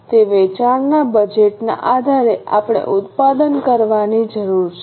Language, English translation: Gujarati, Depending on the sale budget, we need to manufacture